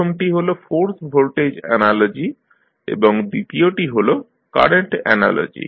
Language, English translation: Bengali, First one is force voltage analogy and second is force current analogy